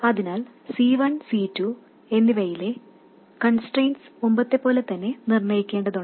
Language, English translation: Malayalam, So, we need to determine the constraints on C1 and C2, just like before